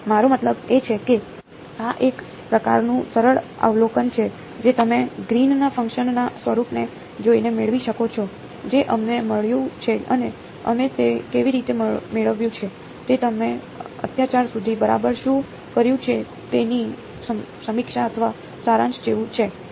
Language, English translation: Gujarati, I mean these are just sort of simple observation you can get by looking at the form of the Green’s function that we got and how we derived it ok, it is more like a review or summary of what you’ve done so far ok